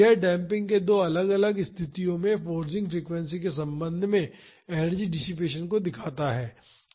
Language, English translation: Hindi, This shows the energy dissipation with respect to the forcing frequency in two different cases of damping